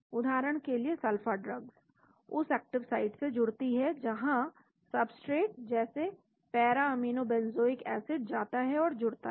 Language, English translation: Hindi, For example, sulpha drugs binds to the active site where the substrate like para aminobenzoic acid goes and binds